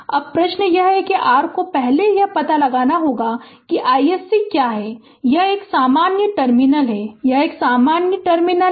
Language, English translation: Hindi, Now, question is that your first you have to find out what is I s c that this is a common terminal, this is a common terminal